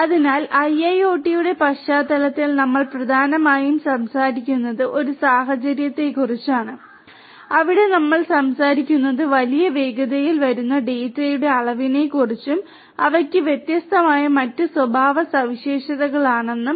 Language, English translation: Malayalam, So, in the context of IIoT we are essentially talking about a scenario, where we are talking about volumes of data that come in large velocities and they have different other characteristics as well